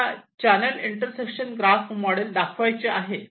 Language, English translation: Marathi, so i have shown the channel intersection graph model